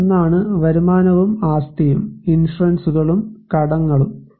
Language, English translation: Malayalam, One is the income and assets and insurance and debts